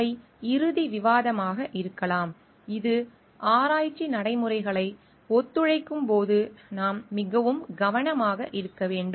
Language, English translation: Tamil, These are may be final discussion which needs to be that we need to be very careful when we enter into collaborating research practices